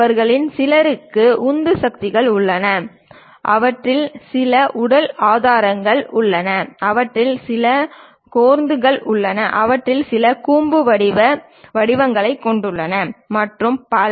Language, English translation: Tamil, Some of them having thrusters, some of them having body supports, some of them having cores, some of them having conical kind of shapes and so on so things